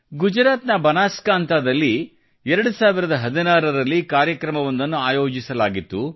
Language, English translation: Kannada, An event was organized in the year 2016 in Banaskantha, Gujarat